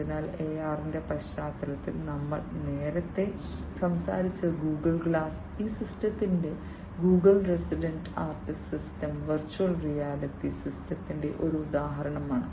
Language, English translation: Malayalam, So, the Google glass we have talked about earlier in the context of AR and Google’s in this system the resident artist system is another system which is an example of the virtual reality system